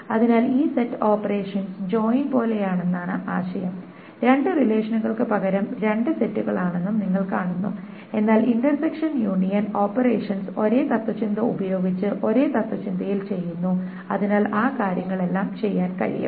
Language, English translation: Malayalam, is kind of like the joint and the idea is instead of two relations there are two sets but then the intersection union operations are being done in that for almost the same philosophy using the same philosophy